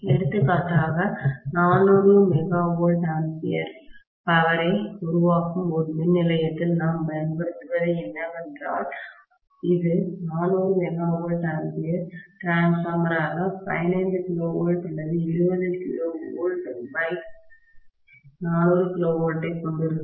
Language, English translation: Tamil, For example what we use in a power station which is generating 400 MVA power, it will be 400 MVA transformer with probably 15 KV or 20 KV whatever slash maybe 400 KV